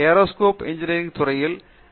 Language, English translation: Tamil, So, Aerospace Engineering